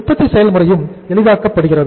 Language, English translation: Tamil, Production process is also facilitated